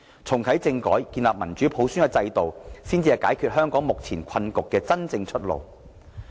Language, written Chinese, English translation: Cantonese, 重啟政改和建立民主普選制度，才是解決香港目前困局的真正出路。, Reactivating constitutional reform and establishing a democratic system through universal suffrage are means to get Hong Kong out of the current predicament